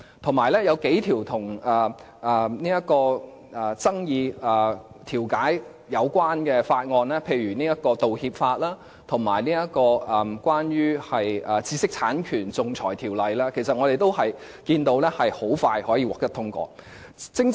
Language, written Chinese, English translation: Cantonese, 同時，有數項與爭議調解有關的法案，例如《道歉法》，以及關於知識產權的《仲裁條例》的修訂，其實可見，我們是會很迅速地通過有關的法案。, At the same time we handled the amendments on several bills that were related to disputes mediation such as the Apology Bill and the amendment on Arbitration Ordinance which were related to intellectual property rights . In fact we passed the relevant bills swiftly